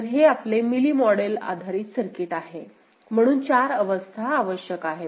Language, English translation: Marathi, So, this is your Mealy model based circuit, so 4 states are required